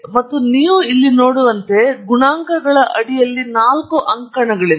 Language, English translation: Kannada, And as you can see here, there are four columns under the coefficients heading